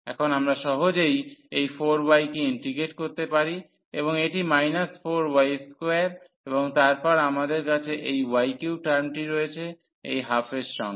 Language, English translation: Bengali, So, now, we can easily integrate this 4 y and this is minus 4 y square and then we have this y cube term and with this half